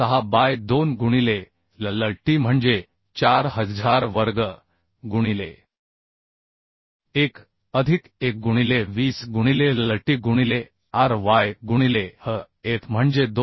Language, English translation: Marathi, 6 by 2 into LLT is 4000 square into 1 plus 1 by 20 into LLT by ry by hf is 290